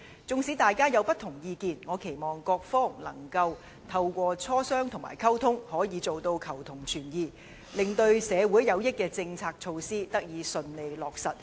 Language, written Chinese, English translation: Cantonese, 即使大家有不同意見，我期望各方仍能透過磋商和溝通，做到求同存異，令那些對社會有益的政策措施得以順利落實。, Although Members have diverse opinions I hope all of us can seek common ground while reserving differences through discussions and communication so that the policies and measures that are beneficial to society can be implemented smoothly